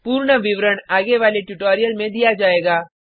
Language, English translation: Hindi, Detailed explanation will be given in subsequent tutorial